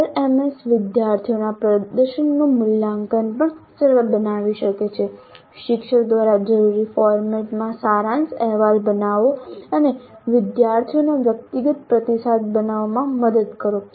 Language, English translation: Gujarati, The LMS can also facilitate the evaluation of student performances, generate a summary report in the format required by the teacher and help in generating personalized feedback to the students